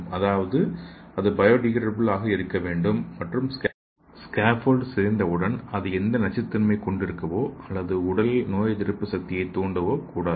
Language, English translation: Tamil, That means it should be bio degradable, so once the scaffold is degrading, it should not induce any toxic or immune response in the body